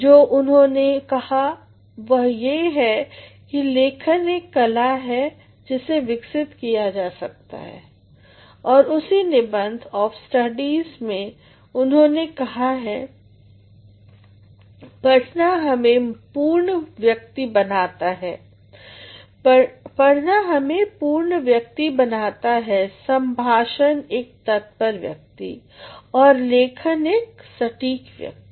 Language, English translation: Hindi, What he said is writing is an art which has to be developed and he says in the same essay Of Studies, he says "reading maketh a full man; conference a ready man, and writing an exact man